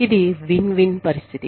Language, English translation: Telugu, It is a win win situation